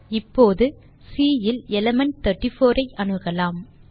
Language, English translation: Tamil, Now, let us access the element 34 from C